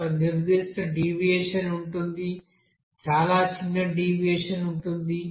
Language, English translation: Telugu, There will be a certain deviation, very small deviation will be there